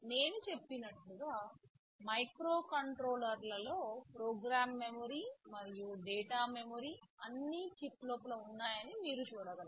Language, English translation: Telugu, You see in microcontrollers I told that memory what program memory and data memory are all inside the chip